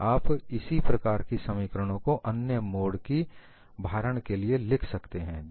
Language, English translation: Hindi, You could write similar ones for other modes of loading as well